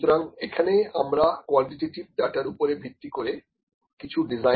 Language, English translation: Bengali, So, we can design something based on the quantitative data